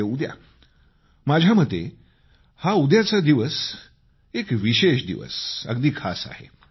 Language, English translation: Marathi, tomorrow, in my view, is a special day